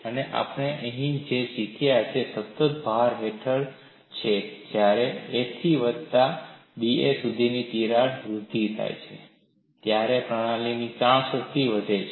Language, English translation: Gujarati, And what we have learnt here is, under constant load when there is an advancement of crack from a to a plus d a, the strain energy of the system increases